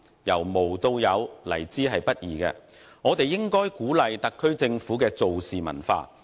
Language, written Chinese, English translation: Cantonese, 由無到有，來之不易，我們應該鼓勵特區政府的"做事"文化。, Starting from scratch is by no means easy and we should encourage the SAR Governments culture of doing things